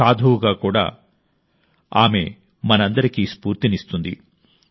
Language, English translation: Telugu, Even as a saint, she inspires us all